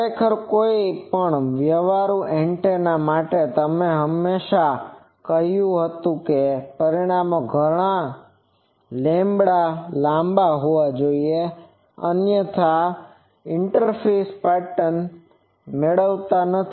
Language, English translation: Gujarati, Actually for any practical antenna, you always said that the dimensions that should be several lambdas long; otherwise you do not get the interference pattern